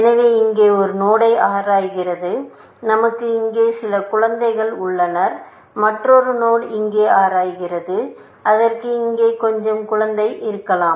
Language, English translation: Tamil, So, let us say, it explores a node here; we have some children here; another node, it explores here, somewhere here, let us see